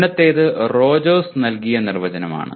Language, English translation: Malayalam, Earlier was given by Rogers